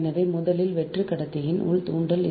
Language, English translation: Tamil, so first is the internal inductance of a hollow conductor